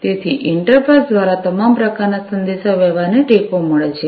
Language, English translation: Gujarati, So, all kinds of communication is supported by inter pass